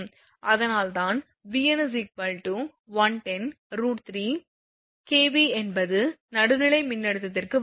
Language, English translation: Tamil, That is why Vn is taken 110 by root 3 that is line to neutral voltage